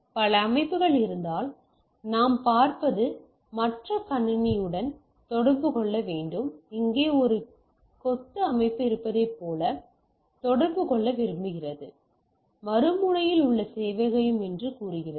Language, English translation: Tamil, So, what we see if there are multiple systems need to communicate with the other system; like there is a bunch of system out here, which wants to communicate with this say this is the server at the other end right